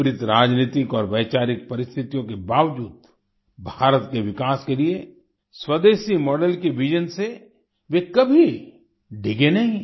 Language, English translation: Hindi, Despite the adverse political and ideological circumstances, he never wavered from the vision of a Swadeshi, home grown model for the development of India